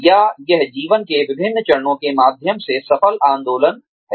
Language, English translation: Hindi, Or, is it successful movement, through various stages of life